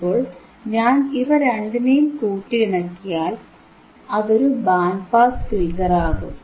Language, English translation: Malayalam, So, if I integrate both, it becomes a band pass filter,